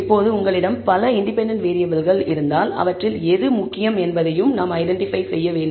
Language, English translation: Tamil, Now, if you have multiple independent variables, then we also need to identify which of them are important